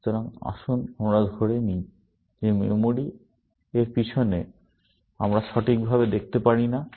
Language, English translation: Bengali, So, let us assume that memories, behind it, and we cannot see properly